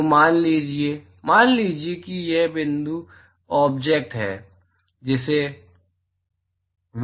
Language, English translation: Hindi, So supposing, supposing here is point object